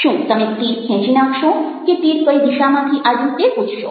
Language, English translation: Gujarati, are you want to take out the arrow or are you going to ask: from which direction did the arrow come